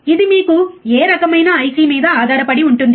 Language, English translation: Telugu, It depends on what kind of IC you have